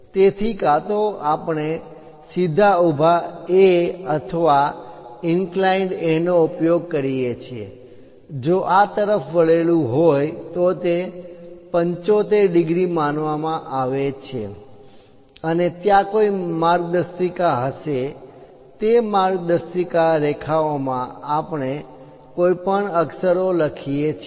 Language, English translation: Gujarati, So, either we use straight vertical A or an inclined A; if this is inclined is supposed to be 75 degrees, and there will be a guide lines, in that guide lines we draw any lettering